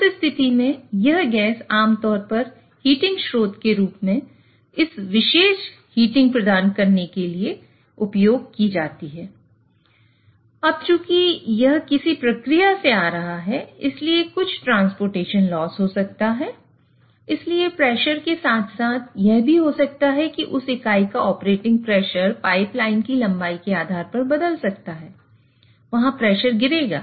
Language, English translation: Hindi, So now as this is coming from some process there may be some transportation loss or the pressure as well as there might be that unit might, the pressure of operating pressure of that unit might change depending on the length of the pipeline, there will be pressure drop